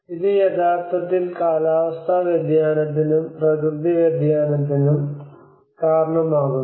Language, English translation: Malayalam, And which is actually causing the anthropogenic climate change and also the natural variability